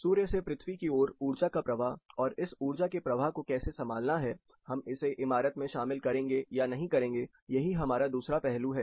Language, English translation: Hindi, It is energy flow from sun to the earth and how to handle it, whether you will include it in the building or exclude it in the building